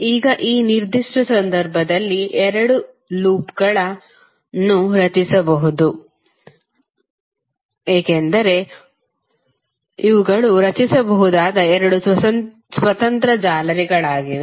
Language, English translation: Kannada, Now, in this particular case you can create two loops because these are the two independent mesh which you can create